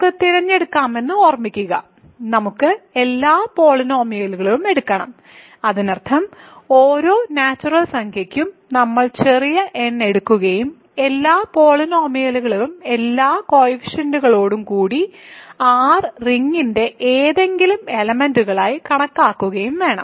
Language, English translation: Malayalam, Remember that we can choose, we have to take all polynomials; that means, we have to take small n for every natural number and consider all polynomials with all the coefficients being any elements of the ring R